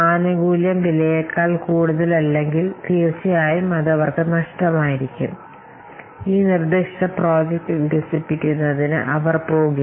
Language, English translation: Malayalam, If the benefit will not outweigh the cost, then definitely it will be lost to them and they will not go for developing this proposed project